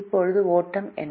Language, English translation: Tamil, now, what is the flow